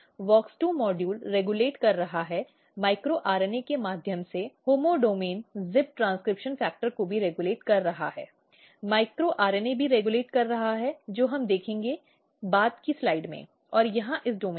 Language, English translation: Hindi, So, in central domain WOX2 module is basically getting activated WOX2 module is regulating, homeodomain zip transcription factor through micro RNA micro RNA is also regulating we will see may be in the later slides and in here in this domain